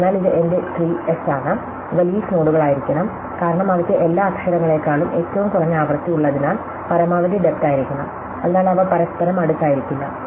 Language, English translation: Malayalam, So, this is my tree S, these must be leave nodes, because they have the lowest frequency is over all the letters, so must be a maximum depth, that they may not be next to each other